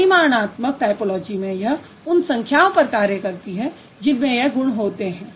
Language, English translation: Hindi, Quantitative typology deals with the numbers that these traits they are sort of associated with